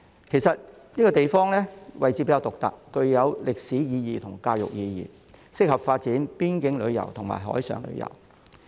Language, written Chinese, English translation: Cantonese, 其實，這個地方位置比較獨特，具有歷史意義和教育意義，適合發展邊境旅遊和海上旅遊。, In fact the location of the area is rather unique; it has historical and educational significance and is suitable for developing boundary tourism and marine tourism